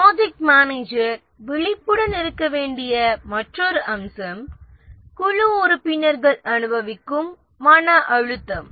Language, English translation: Tamil, Another aspect which the project manager needs to be aware is the stress that the team members undergo